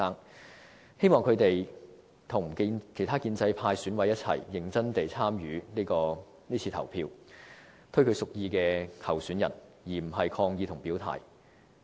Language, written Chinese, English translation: Cantonese, 他們希望和其他建制派選委一同認真地參與是次投票，推舉他們屬意的候選人，而不是抗議和表態。, They wish they can seriously participate in this election with the pro - establishment EC members and nominate their preferred candidates instead of protesting and expressing their stances